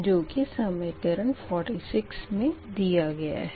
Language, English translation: Hindi, this is equation forty seven